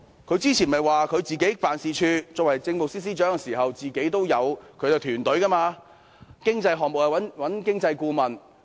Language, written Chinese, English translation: Cantonese, 她之前不是曾表示自己作為政務司司長的時候，擁有自己的辦事處和團隊，若有經濟項目，便會自行諮詢經濟顧問？, Did she not say that when she served as the Chief Secretary for Administration she had her own office and team and would consult the Economist herself if there was any economic project?